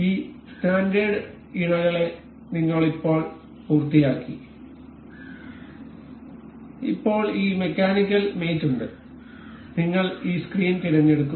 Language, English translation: Malayalam, We have just finished this standard mates we have now this mechanical mates we will select this screw